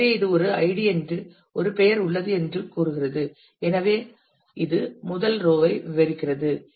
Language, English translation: Tamil, So, it is saying that this is an ID there is a name; so, it is describing the first row the department